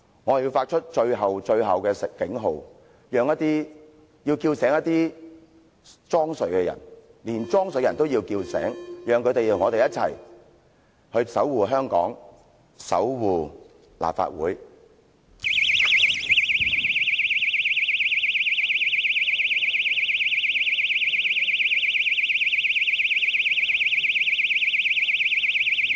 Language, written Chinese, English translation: Cantonese, 我要發出最後、最後的警號，要叫醒那些裝睡的人，連裝睡的人也要叫醒，讓他們與我們一起守護香港和立法會。, I must set off the final final alarm to awake those people who are feigning sleep . I must even awake those who are feigning sleep so that they can join us in safeguarding Hong Kong and LegCo